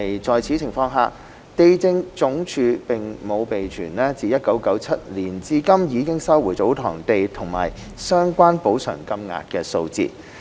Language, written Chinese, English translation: Cantonese, 在此情況下，地政總署並無備存自1997年至今已收回的祖堂地及相關補償金額的數字。, In this circumstance the Lands Department LandsD does not keep statistics on tsotong land resumed and the relevant compensation amount since 1997 till now